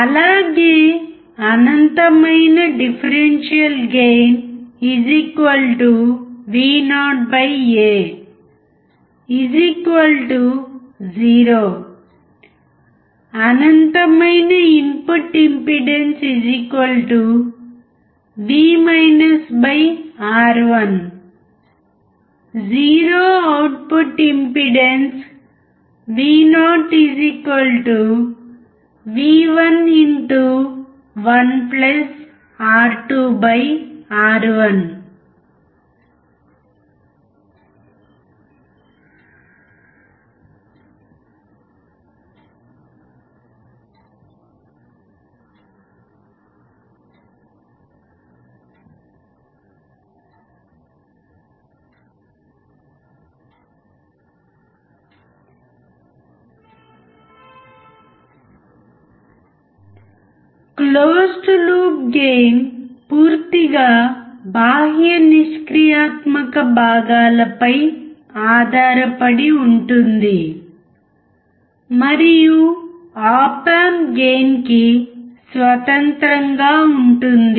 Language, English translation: Telugu, Also, Infinite differential gain=vo/A=0 Infinite input impedance =v /R1 Zero output impedance : vo=v1*(1+(R2/R1)) Closed loop gain depends entirely on external passive components and is independent of op amp gain